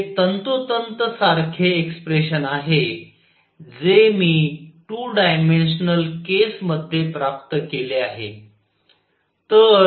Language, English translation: Marathi, Which is exactly the same expression as I have obtained in 2 dimensional case